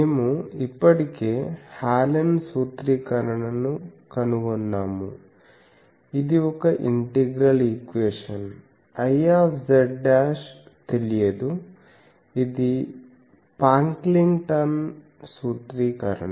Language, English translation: Telugu, We have already found out Hallen’s formulation, it is an integral equation I z dashed is unknown, this is for Pocklington’s formulation